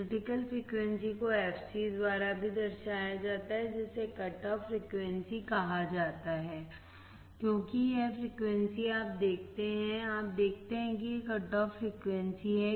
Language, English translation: Hindi, Term critical frequency also denoted by fc also called cut off frequency because this frequency, you see this one is the cut off frequency